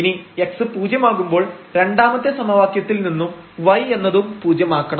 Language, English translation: Malayalam, So, if y is 0 from the second equation which is making this derivative 0